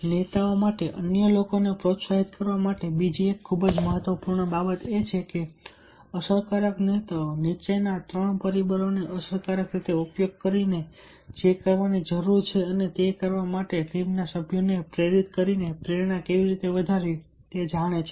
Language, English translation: Gujarati, another very important thing for leaders to motivate others is that effective leaders know how to in, increase, imply motivation by motivating team members to one to do what needs to be done, by effectively using following three motivational factors